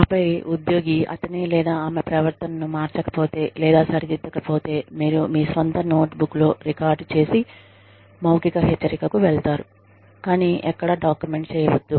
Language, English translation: Telugu, And then, if the employee does not change, or does not correct, his or her behavior, then you move on to a verbal warning, that you record in your own notebook, but do not document anywhere